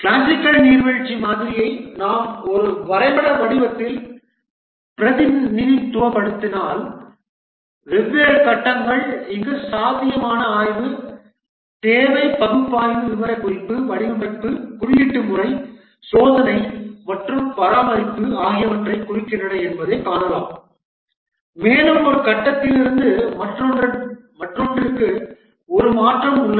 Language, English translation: Tamil, If we represent the classical waterfall model in a diagrammatic form, we can see that the different phases are represented here, feasibility study, requirement analysis, specification, design, coding, testing and maintenance and there is a transition from one phase to the other